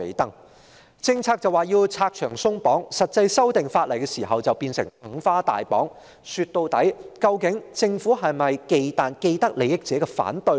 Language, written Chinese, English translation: Cantonese, 當局表示要為政策拆牆鬆綁，但在實際修訂法例時則變成"五花大綁"，說到底，究竟政府是否忌憚既得利益者的反對呢？, While the authorities talk about removing hurdles for the relevant policies more stringent provisions are added in the actual legislative amendment . After all is the Government worried about opposition from people with vested interests?